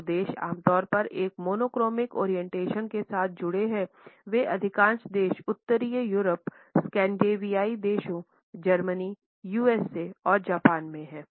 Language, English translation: Hindi, The countries which are typically associated with a monochronic orientation are most of the countries in northern Europe the scandinavian countries Germany USA and Japan